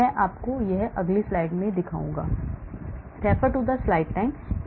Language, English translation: Hindi, I will show you how it is in the next slide